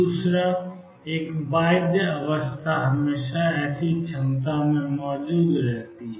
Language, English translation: Hindi, Second: one bound state always exist in such a potential